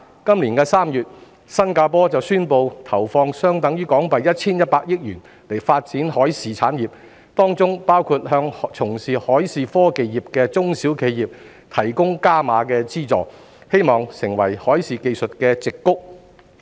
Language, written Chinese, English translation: Cantonese, 今年3月，新加坡便宣布投放相等於約 1,100 億港元發展海事產業，當中包括向從事海事科技業務的中小企業提供"加碼"資助，希望成為海事技術的"矽谷"。, This March Singapore announced that it would invest an amount equivalent to HK110 billion for the development of maritime industry . One of its moves is the provision of additional subsidies to small and medium enterprises engaging in the business of maritime technology with the aim of developing the country into the Silicon Valley for maritime technology